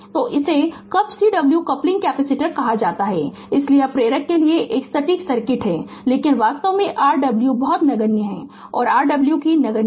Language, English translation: Hindi, So, this is called cup Cw coupling capacitor so this is a exact circuit for the inductor, but in reality Rw is very negligible and Cw also negligible